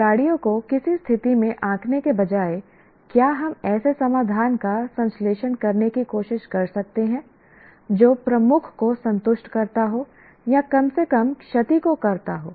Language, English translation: Hindi, Instead of judging the players in a situation, can we try to synthesize solution that satisfies majority or that at least minimize damage